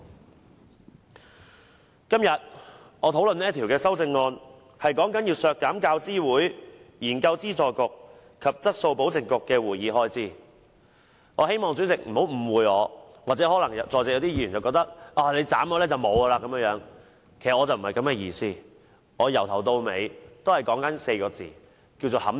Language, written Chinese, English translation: Cantonese, 我今天討論這項修正案，是關於削減"教資會、研究資助局及質素保證局的會議開支"，我希望主席或在席議員不要誤以為削減了它們便沒有撥款，其實我不是這個意思。, My discussion today is about the CSA on deducting the meeting expenses of the UGC Research Grants Council and Quality Assurance Council . I hope the Chairman or Members here will not mistake that these institutions will not have any funding after the deduction . This is not my purpose either